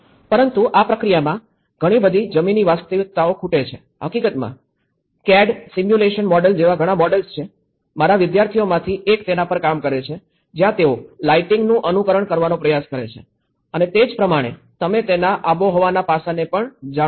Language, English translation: Gujarati, But in this process, what we are missing is the ground realities, in fact, there are many models like CAD simulation model, like this is one of my students work where they try to simulate the lighting aspects and as well as you know the climatic aspects of it